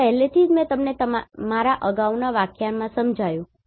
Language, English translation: Gujarati, This already I have explained you in my previous lectures